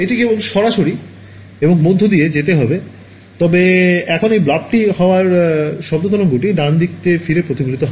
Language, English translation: Bengali, It would just go straight through and through, but now because this blob is here sound wave gets reflected back right